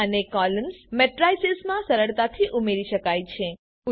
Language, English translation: Gujarati, Rows and columns can be easily appended to matrices